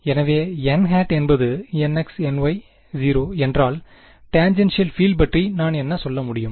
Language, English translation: Tamil, Exactly, if n is n x n y 0, what can I says tangential field